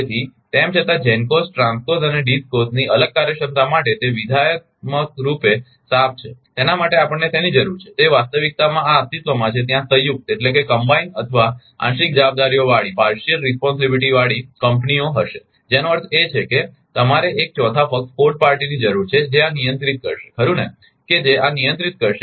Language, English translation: Gujarati, So, although it is conceptually clean to have separate functionalities of the GENCOs TRANSCOs and DISCOs right, for that what we need is in reality this will exist there will exist companies with combined, or partial responsibilities that means, you need 1 4th party that who will handle this right who will handle this